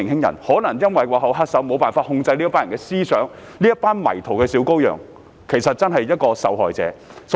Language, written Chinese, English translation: Cantonese, 背後的原因正是幕後黑手能夠控制這些人的思想，但其實這些迷途的小羔羊才是受害者。, The reason behind it is that the real culprit behind the scene can control the minds of these people . In fact these little lost lambs are the victims